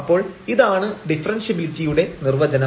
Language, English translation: Malayalam, And that is precisely the definition of the differentiability